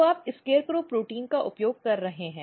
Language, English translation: Hindi, So, you are using SCARECROW protein